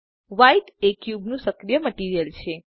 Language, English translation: Gujarati, White is the cubes active material